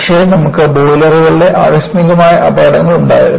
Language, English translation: Malayalam, But, you had catastrophic accidents of boilers